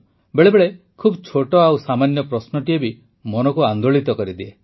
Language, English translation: Odia, Friends, sometimes even a very small and simple question rankles the mind